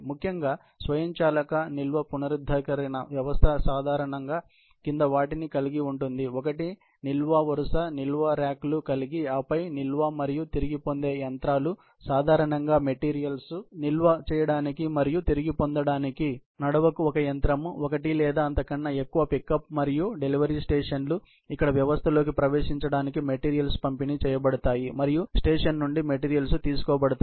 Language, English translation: Telugu, For a particularly, an automated storage retrieval system typically, comprises of the following; one is series of storage ails aisles, having storage racks and then also, storage and retrieval machines; normally, one machine per aisle to store and retrieve the material; one or more pickup and delivery stations, where materials are delivered for entry to the system and materials are picked up from the station